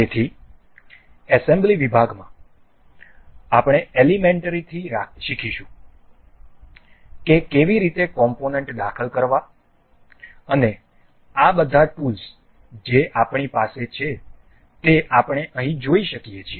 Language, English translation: Gujarati, So, in assembly section we will learn to learn to learn from elementary to how to insert components and learn all of these tools that we have we can see over here